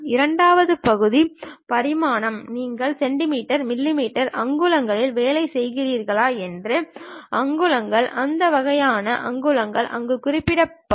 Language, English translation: Tamil, And the second part is the dimension, the units whether you are working on centimeters, millimeters, inches that kind of units will be mentioned there